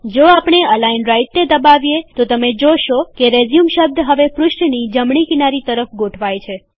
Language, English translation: Gujarati, If we click on Align Right, you will see that the word RESUME is now aligned to the right of the page